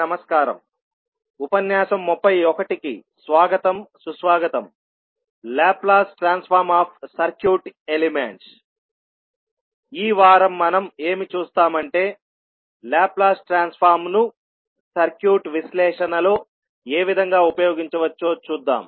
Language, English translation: Telugu, Namaskar, so in this week we will see how we can utilize the Laplace transform into circuit analysis